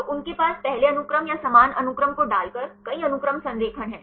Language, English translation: Hindi, So, they have the multiple sequence alignment by putting same sequences or similar sequences at the first